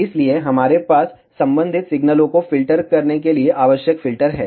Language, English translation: Hindi, So, we have the necessary filters to filter out ah the respective signals